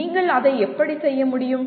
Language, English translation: Tamil, How can you do that